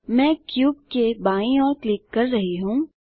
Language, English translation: Hindi, I am clicking to the left side of the cube